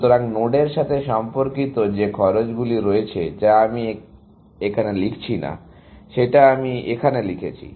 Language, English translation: Bengali, So, there are these costs associated with nodes, which I am not writing there; which I am writing here